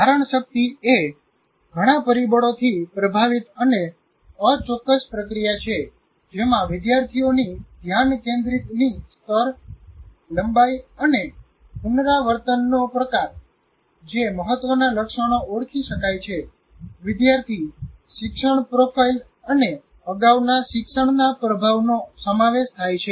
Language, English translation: Gujarati, And retention is not a, is an inexact process influenced by many factors, including the degree of student focus, the lengthen type of rehearse on the record, the critical attributes that may have been identified, the student learning profile, and of course the influence of prior learnings